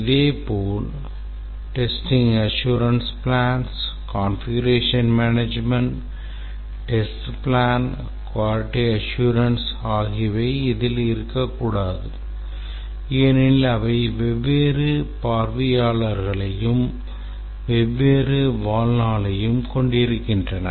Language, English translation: Tamil, Similarly it should not include testing assurance plans configuration management test plans quality assurance because they have different audience and different lifetime